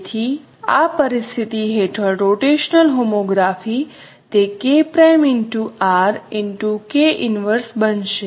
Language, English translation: Gujarati, So this is a rotational homography